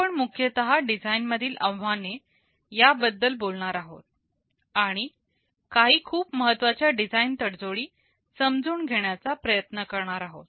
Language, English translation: Marathi, We shall broadly be talking about the design challenges, and we shall also be trying to understand some of the more important design tradeoffs